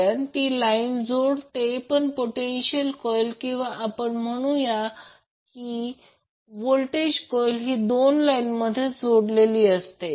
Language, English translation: Marathi, So because it is connected in the line while the respective potential coil or we also say voltage coil is connected between two lines